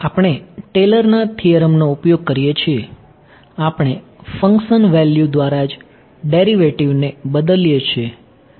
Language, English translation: Gujarati, We use Taylor's theorem, we substituted a derivative by function value itself